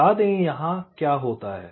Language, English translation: Hindi, let say what happens here